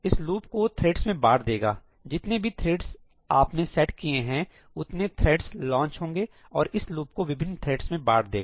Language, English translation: Hindi, This will distribute this loop amongst the threads; whatever you have set as the number of threads , it is going to launch that many threads and distribute this loop to the different threads